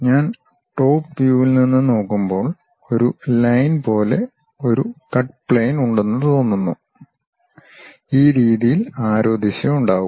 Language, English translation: Malayalam, And, when I am looking from top view it looks like there is a cut plane like a line, there will be arrow direction in this way